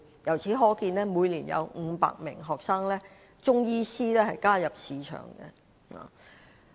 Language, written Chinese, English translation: Cantonese, 由此可見，每年有500名新中醫師加入市場。, We thus see that every year 500 new Chinese medicine practitioners will enter the market